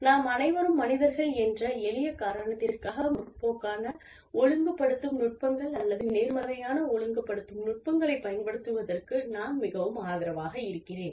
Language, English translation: Tamil, And, i am very much in favor of using the, progressive disciplining techniques, or positive disciplining techniques, for the simple reason that, we are all humans